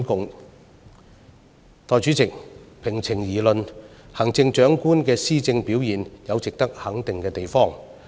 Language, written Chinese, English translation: Cantonese, 代理主席，平情而論，行政長官的施政表現有值得肯定的地方。, Deputy President in all fairness the performance of the Chief Executive in administration merits recognition